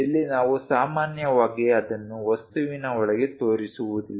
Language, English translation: Kannada, We usually do not show it here inside the object